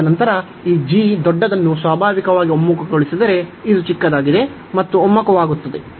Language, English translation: Kannada, And then, we notice that if this g converges the bigger one the natural, this is smaller one will also converge